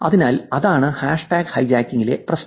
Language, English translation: Malayalam, So that is the problem in with hashtag hijacking